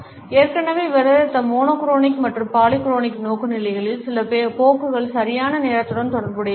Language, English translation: Tamil, Certain tendencies of monochronic and polychronic orientations which we have already discussed are related with punctuality